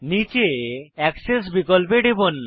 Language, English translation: Bengali, Click on the Top option